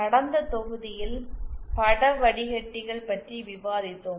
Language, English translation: Tamil, And in the last module we had discussed about image filters